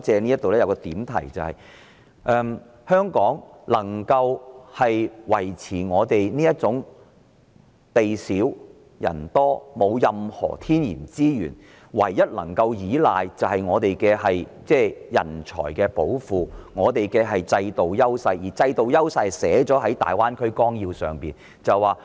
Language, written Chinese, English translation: Cantonese, 不過，我想借這個環節作一個點題，就是香港地小人多，沒有任何天然資源，唯一能夠依賴的是人才寶庫及制度優勢，而這種優勢已寫在大灣區綱要內。, However I wish to highlight one point in this Session that is Hong Kong is a small but crowded place that lacks natural resources so the only thing it can rely on is its treasure trove of talents and the advantages of its institutions . These advantages have been spelt out in the Outline Development Plan for the Greater Bay Area